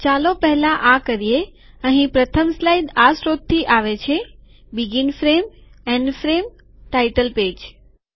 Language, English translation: Gujarati, Lets do this first, the first slide here comes from this source – begin frame, end frame, title page